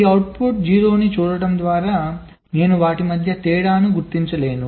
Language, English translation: Telugu, so just by looking at this output zero, i cannot distinguish between them